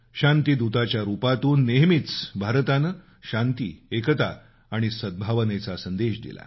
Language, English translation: Marathi, India has always been giving a message of peace, unity and harmony to the world